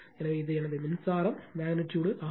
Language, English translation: Tamil, So, this is my current magnitude